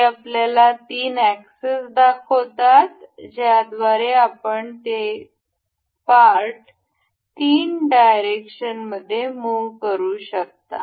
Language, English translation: Marathi, This gives three axis that the that allows us to move this part in the three directions